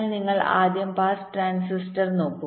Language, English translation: Malayalam, so you first look at pass transistor